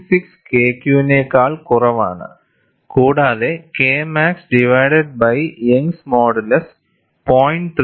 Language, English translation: Malayalam, 6 K Q and K max divided by Young's modulus is less than 0